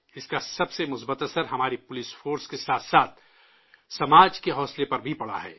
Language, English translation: Urdu, The most positive effect of this is on the morale of our police force as well as society